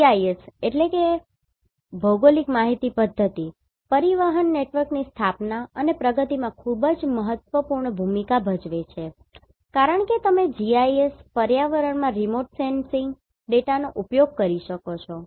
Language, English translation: Gujarati, GIS plays very critical role in establishment and advancement of transportation network because you can use the remote sensing data in GIS environment